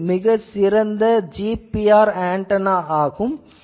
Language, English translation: Tamil, And this is a very good GPR antenna